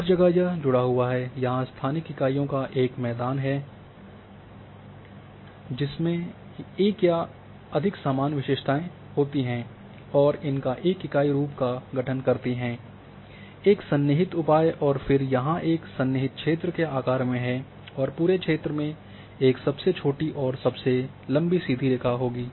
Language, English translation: Hindi, Everywhere this is connected thing will come, a ground of spatial units that have one or more common characteristics and constitute a unit forms a contiguous area and then common measures of contiguous are the size of the contiguous area and the shortest and longest straight line distance across the area